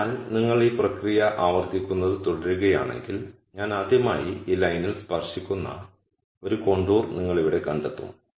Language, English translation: Malayalam, So, if you keep repeating this process, you are going to nd a contour here where I touch this line for the first time